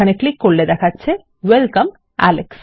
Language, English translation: Bengali, Click here and Welcome, alex.